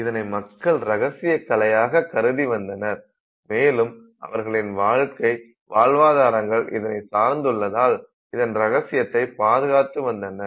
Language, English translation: Tamil, So these used to be secret arts that were held together closely safeguarded by families because their livelihoods depended on it